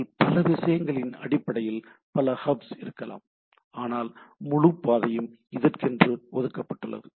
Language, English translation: Tamil, There can be multiple other, many other hops based on the things, but nevertheless the whole path is reserved